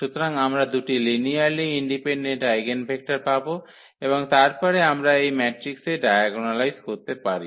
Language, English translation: Bengali, So, we will get two linearly independent eigenvectors and then we can diagonalize this matrix